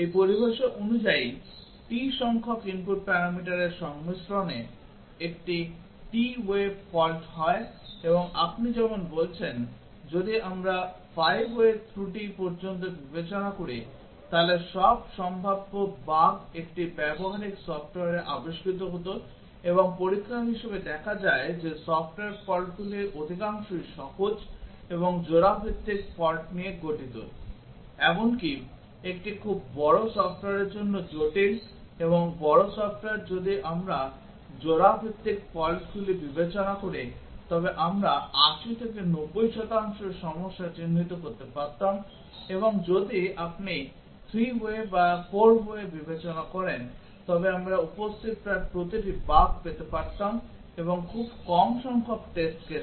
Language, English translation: Bengali, According to this terminology a t way fault is caused by combination of t of the input parameters and as you are saying that, if we consider up to 5 way fault then all possible bugs would have been discovered in a practical software and as experiment shows that a majority of the software faults consist of simple and pair wise faults, even for a very large software, complex and large software if we consider pair wise faults we would have got 80 90 percent of the problem identified and if you consider 3 way or 4 way we would have got almost every bug that is present and at a very reduce number of test cases